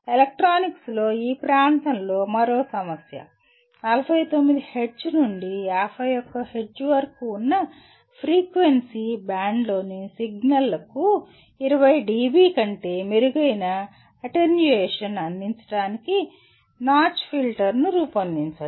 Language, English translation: Telugu, Yet another problem in the area in electronics: Design a notch filter to provide attenuation better than 20 dB to signals in the frequency band of 49 Hz to 51 Hz